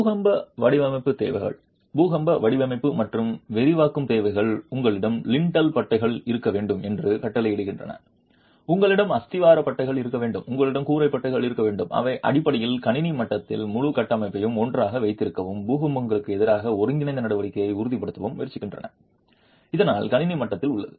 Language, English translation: Tamil, The earthquake design requirements, earthquake design and detailing requirements mandate that you must have lintel bands, you must have plinth bands, you must have roof bands and these are basically at the system level trying to hold the entire structure together and ensure integral action against earthquake